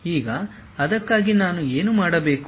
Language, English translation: Kannada, Now, for that what I have to do